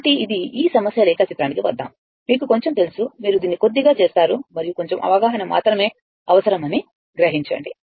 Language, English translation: Telugu, So, this are this is a you know little bit coming to this problem diagram, little bit you do it and just see that only that little bit understanding is required